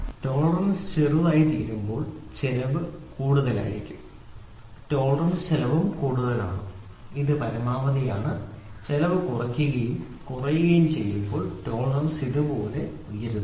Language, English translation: Malayalam, So as the tolerance goes tighter and tighter and tighter so as the tolerance goes smaller and smaller and smaller so, the cost will be higher and higher and higher, tolerance cost is higher, this is minimum, this is maximum, right and as the cost goes lower and lower and lower, the tolerance goes higher and higher and higher something like this